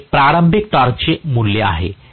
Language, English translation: Marathi, So, this is the starting torque value